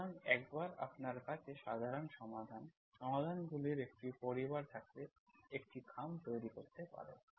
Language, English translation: Bengali, So once you have a family of solutions, general solutions, that may generate an envelope